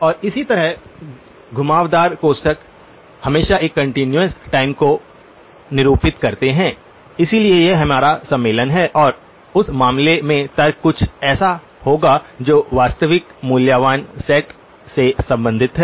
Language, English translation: Hindi, And likewise the curved brackets always denote a continuous time, so that is our convention and the argument in that case will be something that belongs to the real valued set